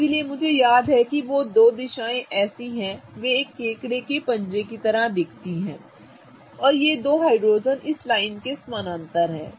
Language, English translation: Hindi, So, that's how I remember is that though those two directions are such that they look like claws of a crab and these two hydrogens, this one is parallel to this line, okay